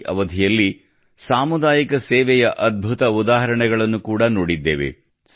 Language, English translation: Kannada, During this period, wonderful examples of community service have also been observed